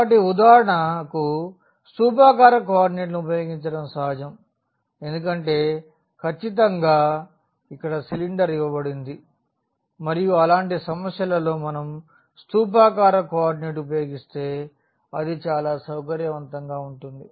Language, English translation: Telugu, So, it is natural to use for instance the cylindrical co ordinates because, this is exactly the cylinder is given and it will be much more convenient, if we use cylindrical coordinate in such problems